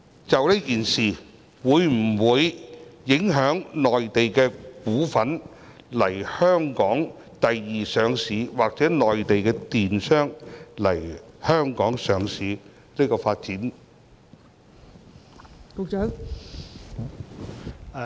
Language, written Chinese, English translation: Cantonese, 這次事件會否影響內地股份來港作第二上市或內地公司來港上市發展？, Will this incident deter Mainland stocks from applying for secondary listing in Hong Kong or Mainland companies from listing in Hong Kong?